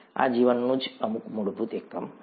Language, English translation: Gujarati, This is some fundamental unit of life itself